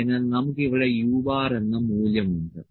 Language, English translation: Malayalam, So, we have the value u bar here